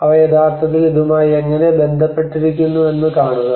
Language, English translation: Malayalam, And see how they are actually relating to it